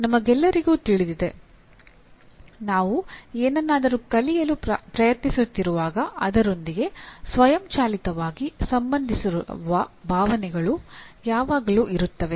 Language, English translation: Kannada, We all know whenever we are trying to learn something, there are always feelings automatically associated with that